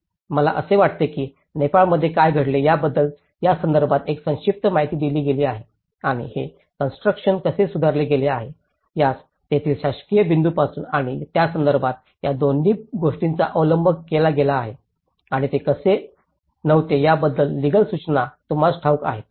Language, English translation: Marathi, I think, this is given you a very brief understanding on what happened in the Nepal and how this build back better has been adopted both from a governess point of it and from the setup of it and you know by the legal instructions how they were not adequate to fulfill, so what are the challenges they are facing